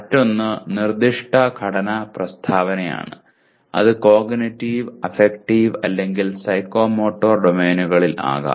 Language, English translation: Malayalam, The other one is the proposed structure statement in, it can be in Cognitive, Affective, or Psychomotor Domains